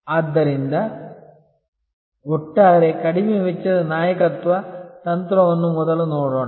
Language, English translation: Kannada, So, let us look at first the overall low cost leadership strategy